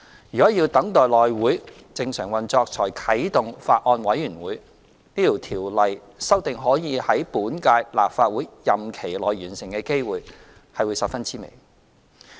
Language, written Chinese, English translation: Cantonese, 如果要等待內會正常運作才啟動法案委員會，此條例草案的修訂可以在本屆立法會任期內完成的機會是十分之微。, If a Bills Committee can be activated only after the normal operation of the House Committee has been resumed the chances the amendment exercise pertaining to this Bill being completed within the current term of the Legislative Council would be extremely slim